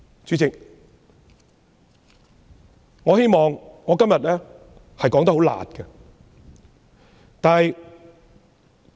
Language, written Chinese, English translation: Cantonese, 主席，我希望今天以較"辣"的言詞發言。, President I use harsher words in my speech today